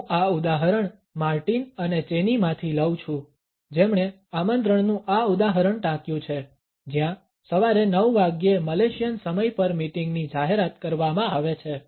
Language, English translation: Gujarati, I take this example from Martin and Chaney, who have cited this example of an invitation where the meeting is announced at 9 AM “Malaysian time”